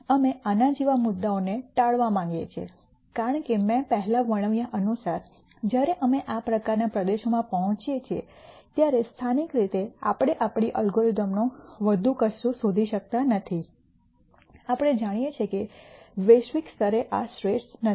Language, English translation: Gujarati, We want to avoid points like this because as I described before when we reach these kinds of regions while locally we cannot make our algorithm nd anything better we know that globally this is not the best